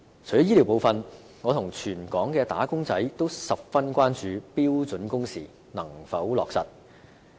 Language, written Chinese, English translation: Cantonese, 除了醫療部分，我和全港的"打工仔"均十分關注標準工時能否落實。, Health care aside like all wage earners in Hong Kong I am very much concerned about whether standard working hours can be implemented